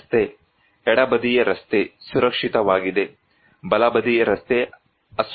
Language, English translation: Kannada, This road; left hand side road is safe; right hand side road is unsafe